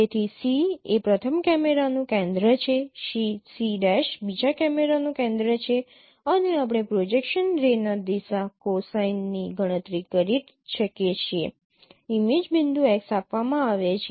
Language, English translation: Gujarati, So C is the center of the first camera, C prime is the center of the second parameter and we can compute the direction cosine of the projection ray given the image point x